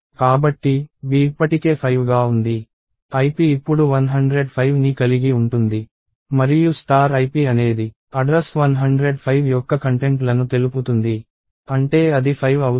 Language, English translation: Telugu, So, b is already 5, ip will now have 105 and star ip is the contents of the address 105 that is 5